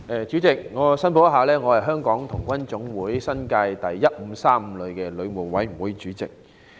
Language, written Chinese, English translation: Cantonese, 主席，首先，我想作出申報，我是香港童軍總會新界第1535旅的旅務委員會主席。, President first of all I want to declare that I am the Chairman of the 1535th New Territories Group Council of the Scout Association of Hong Kong